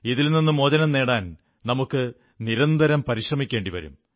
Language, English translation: Malayalam, To free ourselves of these habits we will have to constantly strive and persevere